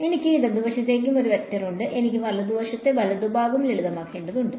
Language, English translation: Malayalam, So, I have a vector on the left hand side also, I need to simplify the right hand side right